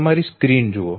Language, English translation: Gujarati, Look at your screen